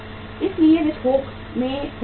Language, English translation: Hindi, So they buy in bulk